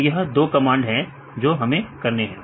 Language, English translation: Hindi, So, these are the two commands we have to do